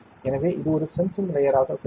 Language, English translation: Tamil, So, this will act as a sensing layer